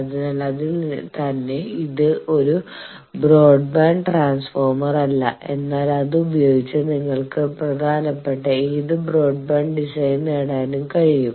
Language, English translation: Malayalam, So, in itself it is not a broadband transformer, but with it you can achieve any broadband design that is important